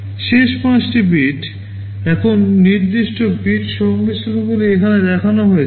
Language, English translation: Bengali, The last 5 bits, now the specific bit combinations are shown here